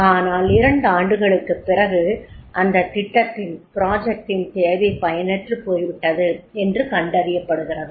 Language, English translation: Tamil, But after two years they find that is the demand of that project is becoming obsolete